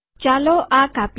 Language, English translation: Gujarati, Lets cut this